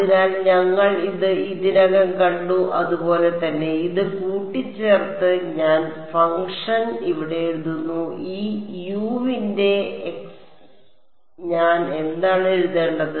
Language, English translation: Malayalam, Putting this together I write the function inside over here, this U of x what do I write it as